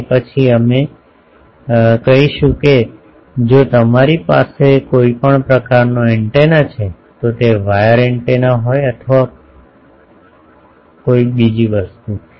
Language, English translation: Gujarati, And then by that we will be able to say that if you have any type of antenna, be it wire antenna or a thing